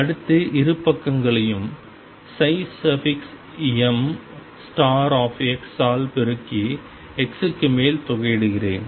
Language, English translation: Tamil, Next, let me multiply both sides by psi m star x and integrate over x